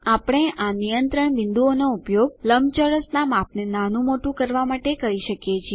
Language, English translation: Gujarati, We can use these control points to adjust the size of the rectangle